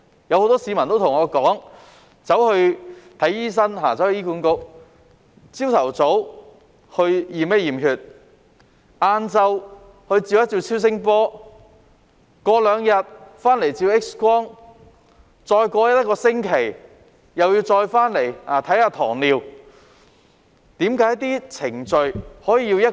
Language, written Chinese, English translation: Cantonese, 很多市民對我說，他們向醫管局的醫生求診，早上驗血，下午照超聲波，兩日後回去照 X 光，再過一星期後又回去為糖尿病求診。, Quite a number of people have said to me that when they seek medical consultation in HA hospitals they receive a blood test in the morning and undergo an ultrasound scan in the afternoon . They go back for an X - ray two days later and seek consultation for diabetes another week later